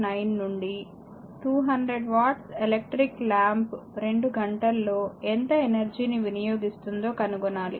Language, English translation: Telugu, 9 right, that how much energy does a 200 watt electriclamp consume in 2 hours right